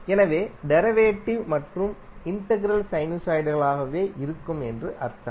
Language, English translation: Tamil, So, it means that the derivative and integral would itself would be sinusoids